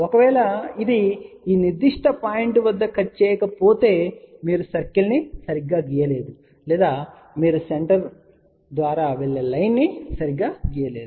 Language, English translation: Telugu, If it is not cutting at this particular point and either you have not drawn the circle properly or you have not drawn the line properly through the center ok